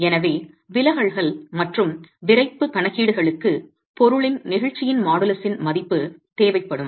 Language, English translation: Tamil, So, deflections and the stiffness calculations would require a value of the models of the elasticity of the material